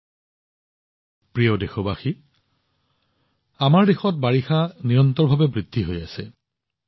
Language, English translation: Assamese, My dear countrymen, monsoon is continuously progressing in our country